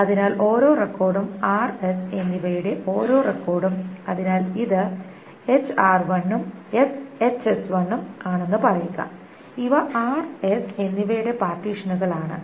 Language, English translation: Malayalam, So each record, so each record of R and S, say this is HRI and HSI, these are the partitions of R and S